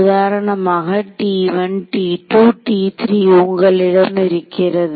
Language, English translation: Tamil, So, you will have T 1 T 2 T 3